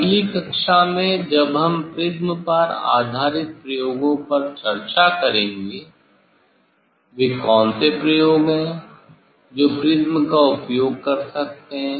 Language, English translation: Hindi, in next class then we will discuss experiment based on the prism, experiment based on prism, what are the experiment one can do using the prism